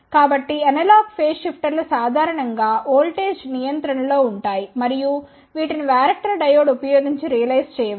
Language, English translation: Telugu, So, analog phase shifters are generally voltage controlled and these can be realized using varactor diode